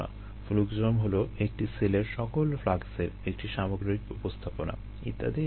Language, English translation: Bengali, fluxome is the complete representation of all the fluxes in the cell, and so on